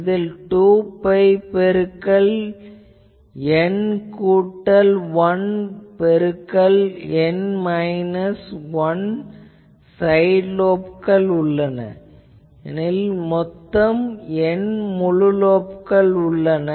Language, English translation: Tamil, So, you see that total how many things, so I have 2 pi into N plus 1 into can I say that N minus 1 side lobes in a period, because I say total N full lobes